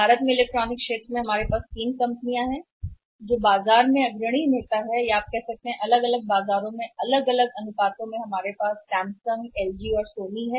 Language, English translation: Hindi, In the electronics sector in India we have three companies who are the say leaders in the market you can say the different markets in a different proportions we have Samsung, LG and Sony